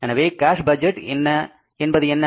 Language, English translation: Tamil, So, what is the cash budget